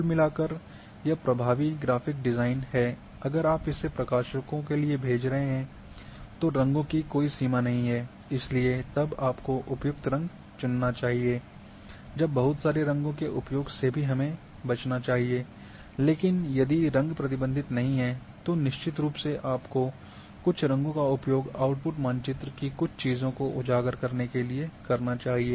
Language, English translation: Hindi, Overall this effective graphic design if, you are sending for publications colour is not a limitation then you should chose appropriate colour, do not make too many colours when not required,but if colours are not restricted then, definitely you should use some colours to highlight certain things of output map